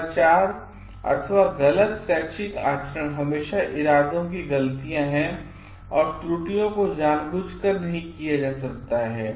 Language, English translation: Hindi, Misconduct is always intention mistakes and errors may not be committed intentionally